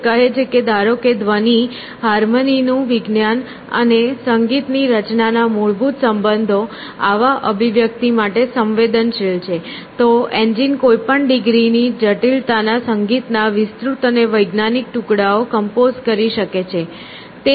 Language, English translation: Gujarati, She says, that supposing that fundamental relations of pitched sounds and the science of harmony and musical composition were susceptible of such expressions, the engine might compose elaborate and scientific pieces of music of any degree of complexity essentially